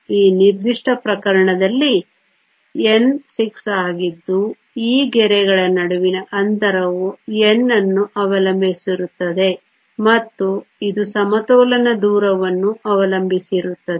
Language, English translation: Kannada, In this particular case N is 6, the spacing between these lines depend upon N and it also depends on the equilibrium distance